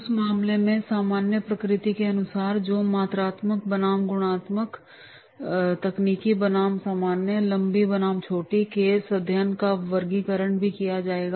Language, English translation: Hindi, Conclude as to the general of the nature of the case, there is the quantitative versus qualitative, technical versus general, long versus short and therefore the classification of the case study will be done